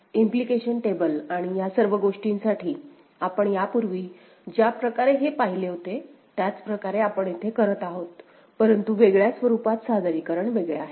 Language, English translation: Marathi, The way we had seen it before for implication table and all, so the same thing we are doing here ok; but in a different form, you know presentation is different